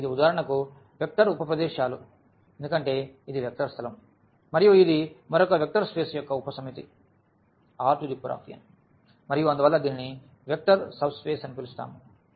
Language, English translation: Telugu, So, this is for instance vector subspaces because this is a vector space and this is a subset of another vector space R n and therefore, we call this as a vector subspace